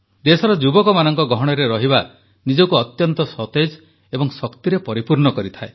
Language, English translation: Odia, To be amongst the youth of the country is extremely refreshing and energizing